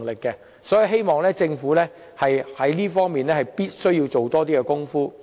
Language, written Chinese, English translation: Cantonese, 所以，我希望政府能在這方面多做工夫。, Hence I hope the Government can put in more efforts in this regard